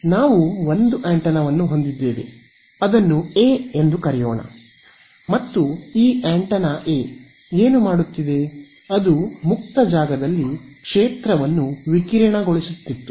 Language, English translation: Kannada, So, we had one antenna like this let us call it antenna A ok, and what was this antenna A doing, it was radiating a field in free space